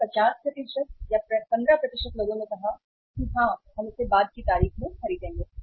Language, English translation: Hindi, So 50% or 15% of the people have said that yes we will buy it at the later date